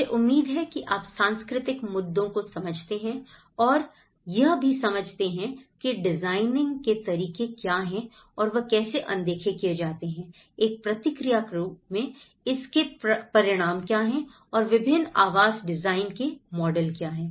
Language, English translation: Hindi, I hope you understand the cultural issues and what are the ways of designing and how it has been overlooked and as a response what are the consequences of it and what are the various models of designing the housing